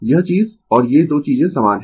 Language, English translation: Hindi, This thing and this 2 things are same